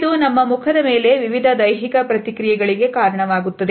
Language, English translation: Kannada, It results into various physical responses on our face